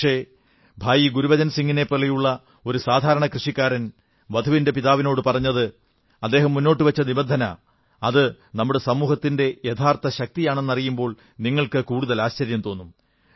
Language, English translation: Malayalam, But, you will be surprised to know that Bhai Gurbachan Singh was a simple farmer and what he told the bride's father and the condition he placed reflects the true strength of our society